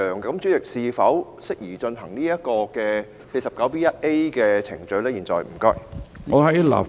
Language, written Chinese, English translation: Cantonese, 主席，現在是否適宜就這項議案進行第 49B 條的程序呢？, President is it appropriate now to go through the procedures under Rule 49B1A for this motion?